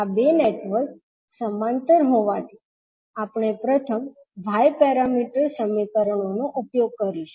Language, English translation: Gujarati, Since these 2 networks are in parallel, we will utilise first Y parameter equations